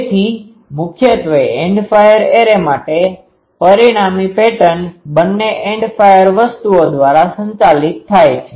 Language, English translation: Gujarati, So, mainly for End fire arrays, the resultant pattern is both governed by the End fire things